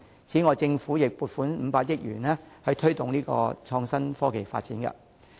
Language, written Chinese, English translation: Cantonese, 同時，政府會預留500億元，推動創新科技發展。, Meanwhile 50 billion will be set aside for promoting the development of innovation and technology